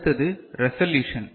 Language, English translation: Tamil, Next is resolution